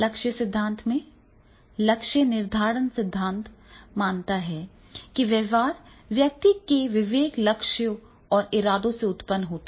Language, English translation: Hindi, In the goal theory is goal setting theory assumes that behavior results from a person's conscious goals and intentions